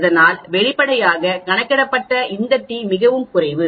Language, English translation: Tamil, So obviously, this t calculated is much less